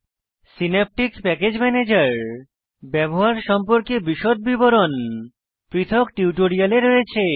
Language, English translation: Bengali, Details on how to use Synaptic Package Manager is available in a separate tutorial in this series